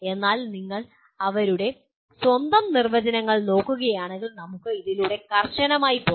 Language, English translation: Malayalam, But if you look at by their own definitions, let us strictly go through this